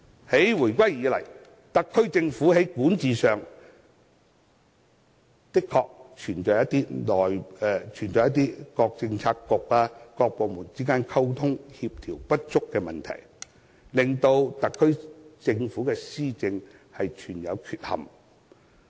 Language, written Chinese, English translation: Cantonese, 自回歸以來，特區政府在管治上的確存在各政策局、各部門之間溝通、協調不足的問題，令施政存有缺憾。, Since the reunification the SAR Government has encountered the problem of inadequate communication and coordination between Policy Bureaux and departments which has undermined its administration